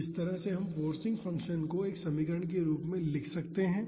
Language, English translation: Hindi, So, this is how we can write this forcing function as an equation